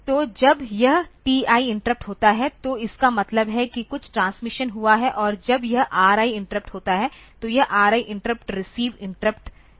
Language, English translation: Hindi, So, when this TI interrupt occurs; so, then; that means, some transmission has taken place and when this RI interrupt occurs then this RI interrupts receive interrupt has taken place